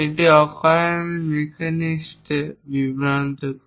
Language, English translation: Bengali, It unnecessarily confuse the machinist